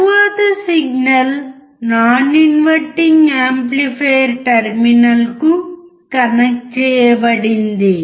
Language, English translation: Telugu, Next the signal is connected to the non inverting amplifier terminal